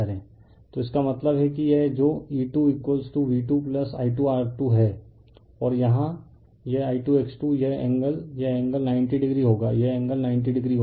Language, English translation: Hindi, So, that means, that means, this one that is E 2 is equal to V 2 plus I 2 R 2 and this I 2 X 2 these angle this angle will be 90 degree, right this angle will be 90 degree